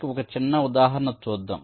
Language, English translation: Telugu, i shall take an example to illustrate